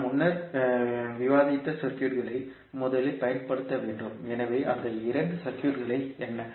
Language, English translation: Tamil, We have to first use the circuit which we discussed previously, so what are those two circuits